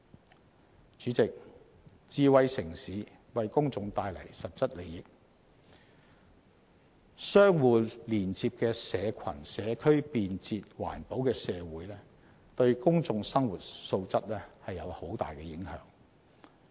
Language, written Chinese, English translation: Cantonese, 代理主席，智慧城市為公眾帶來實質利益，相互連接的社群、社區，便捷、環保的社會對公眾生活素質有很大影響。, Deputy President a smart city brings tangible benefits to the public as interconnected social groups and communities in a convenient and green society can have a huge impact on the quality of peoples life